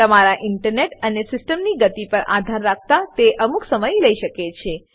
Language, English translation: Gujarati, This may take some time depending on your internet and system speed